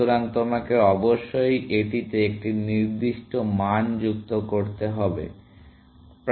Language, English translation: Bengali, So, you will need to add a certain value to that, essentially